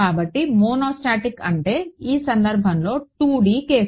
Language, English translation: Telugu, So, monostatic means I means the 2 D case